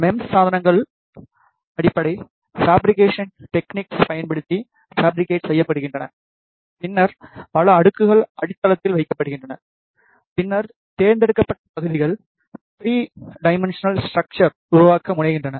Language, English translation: Tamil, MEMS devices are fabricated using, basic fabrication techniques and then multiple layers are deposited on the base, then the selective areas are edged out to form the 3 dimensional structure